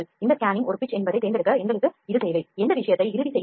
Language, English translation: Tamil, We need this to select these scanning pitch is a pitch or not, we need to finalize this thing